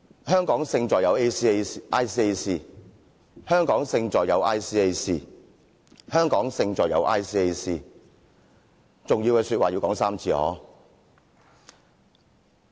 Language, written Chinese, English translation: Cantonese, 香港勝在有 ICAC、香港勝在有 ICAC、香港勝在有 ICAC， 重要的說話要說3次。, Hong Kong Our Advantage is ICAC Hong Kong Our advantage is ICAC and Hong Kong Our advantage is ICAC . Important things should be said three times